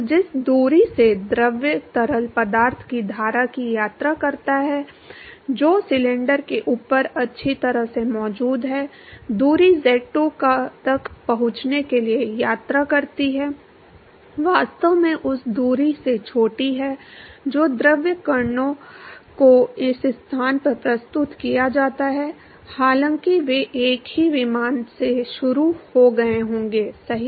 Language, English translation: Hindi, So, the distance that the fluid travels the fluids stream which is present well above the cylinder the distance is travels to reach z2 is actually smaller than the distance that the fluid particles which is presented this location, although they would have started at the same plane right